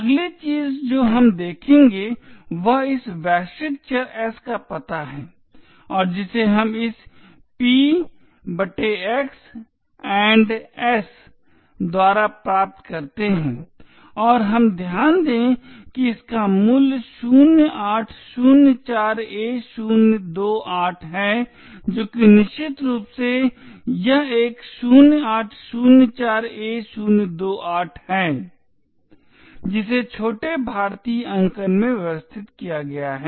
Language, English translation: Hindi, this global variable s and that we obtain by this p/x &s and we note that it has a value of 0804a028 which is essentially this one 0804a028 arranged in little Indian notation